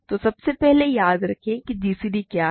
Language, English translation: Hindi, So, first of all remember what is g c d